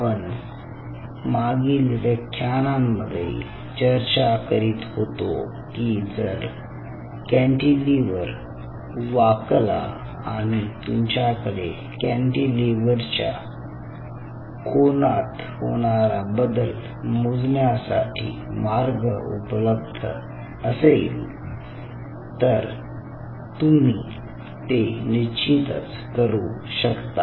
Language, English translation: Marathi, now, in the last class we talked about that if the cantilever bends and if you have a way to measure the change in the angle of the cantilever, then you can do so